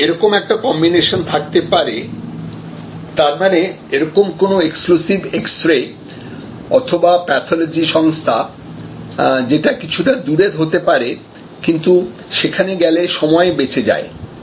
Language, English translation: Bengali, So, there can be a combination that mean some there can be a very exclusive x ray or a pathology shop, pathology organization, which may be even it a distance, but they save time big